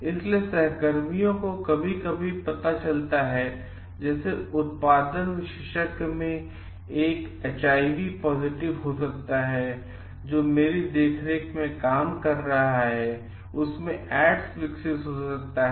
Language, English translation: Hindi, So, coworkers sometimes come to know like may be one of the production specialist is in is under my supervision is working is HIV positive, may have developed AIDS